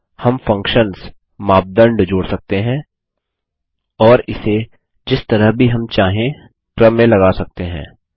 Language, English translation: Hindi, We can add functions, criteria and sort it any way we want